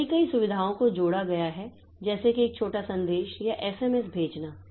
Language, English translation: Hindi, So, many, many features have been added like say sending short messages or SMS